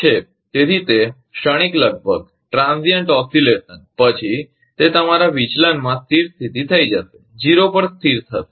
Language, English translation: Gujarati, So, at it will after some transient oscillation, it will settled to your deviation, will settled to zero